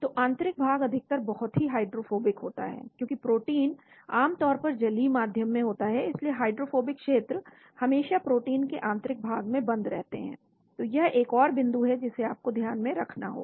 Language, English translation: Hindi, So interior is generally very hydrophobic, because protein is generally taken in aqueous medium, so hydrophobic regions are always buried inside the protein , so that is another point you need to keep in mind